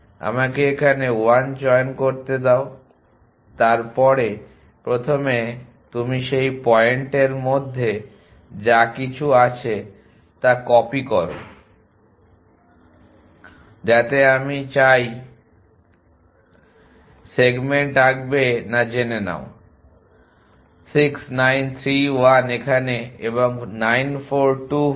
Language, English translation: Bengali, Let me choose 1 here then first you copy whatever is their between those 2 points so you have I would not draw the segment know 6 9 3 1 here and 9 4 2 5